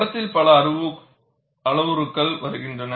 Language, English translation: Tamil, You could have many parameters